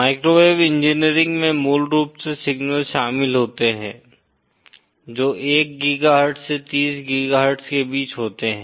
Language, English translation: Hindi, Microwave engineering basically involves signals which lie between 1 GHz to 30 GHz